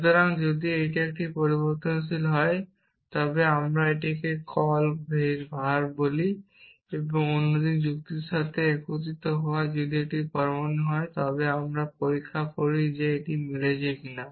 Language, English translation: Bengali, So, if it is a variable then we just I call it call var unify with others argument if it is an atom we check whether it is matching or not essentially